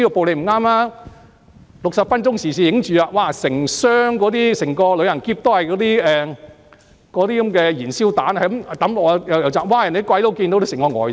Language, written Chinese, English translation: Cantonese, "六十分鐘時事雜誌"拍攝到整個旅行箱內都是燃燒彈，不停在投擲，外國人看到都嚇得呆了。, 60 Minutes has filmed shots of a luggage full of Molotov cocktails and people hurling them non - stop which left the foreigners petrified